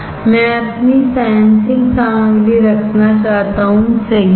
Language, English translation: Hindi, I want to have my sensing material, correct